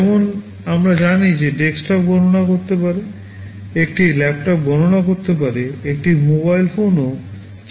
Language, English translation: Bengali, Like we know desktop can compute, a laptop can compute, a mobile phone can also compute in some sense